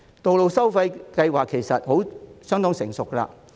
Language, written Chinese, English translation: Cantonese, 道路收費其實已相當成熟。, In fact road pricing is quite mature now